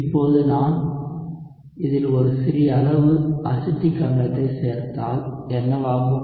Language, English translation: Tamil, Now, one might argue like what if I add a small amount of acetic acid to this